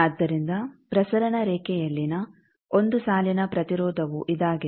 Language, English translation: Kannada, So in the transmission line one of the line impedance is these